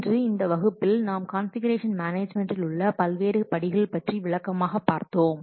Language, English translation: Tamil, So today we have discussed in this class the detailed steps for configuration management process